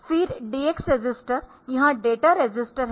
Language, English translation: Hindi, So, this DX register